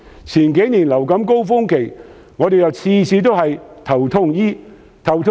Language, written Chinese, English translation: Cantonese, 前幾年面對流感高峰期，政府每次也是"頭痛醫頭"。, In the past few years the Government always took stopgap measures to deal with the influenza surge